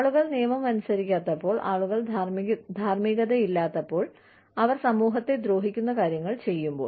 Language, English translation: Malayalam, When people, do not follow the law, when people are not ethical, when they are doing things, that the society, that hurt the society